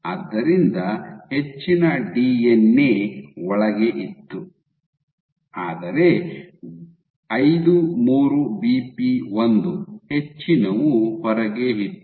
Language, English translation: Kannada, So, most of the DNA was inside, but most of the 53BP1 was outside